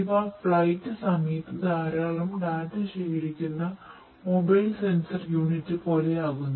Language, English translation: Malayalam, It is going to be like a mobile sensor unit, which is going to collect lot of data while it is in flight